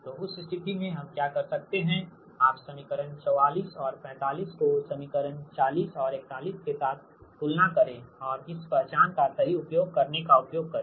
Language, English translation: Hindi, so in that case, what we could, we can do is you compare equation forty four and forty five with equation forty and forty one and make use of, make making use of this identity, right